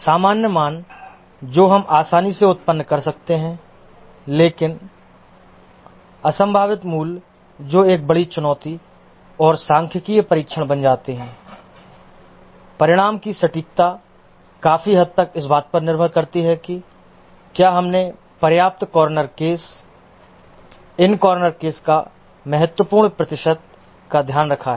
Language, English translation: Hindi, The normal values that we can easily generate, but the unlikely values that becomes a big challenge and the statistical testing, the accuracy of the result depends largely on whether we have taken care to have enough corner cases, significant percentage of these corner cases